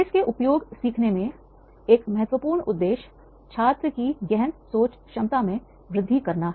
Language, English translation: Hindi, An important objective in the uses of cases in learning is to enhance students ability in critical thinking